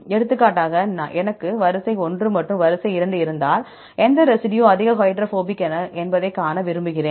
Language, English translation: Tamil, For example, if I have the sequence 1 and sequence 2 and I want to see which residue is highly hydrophobic